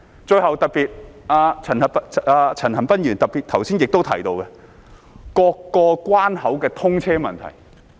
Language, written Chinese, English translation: Cantonese, 最後，陳恒鑌議員剛才特別提到各個關口的通車問題。, Lastly Mr CHAN Han - pan highlighted earlier the issue of vehicular passage through various boundary crossings